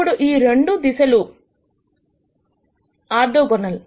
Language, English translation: Telugu, So, we know that these 2 vectors are orthogonal